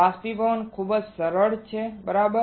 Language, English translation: Gujarati, Evaporation very easy right